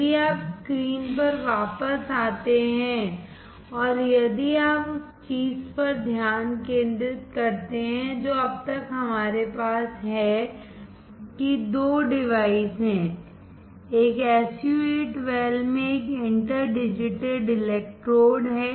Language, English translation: Hindi, If you come back on the screen and if you focus the thing that until now we have that there are 2 devices; one is an inter digitated electrodes in an SU 8 well